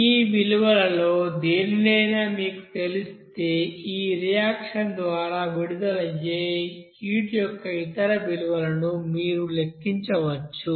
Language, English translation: Telugu, And once you know either one of this you know value, you can calculate other value of this heat released by that reaction